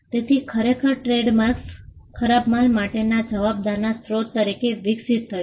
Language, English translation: Gujarati, So, initially trademarks evolved as a source of attributing liability for bad goods